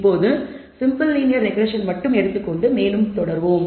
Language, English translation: Tamil, Now let us take only the simple linear regression and go further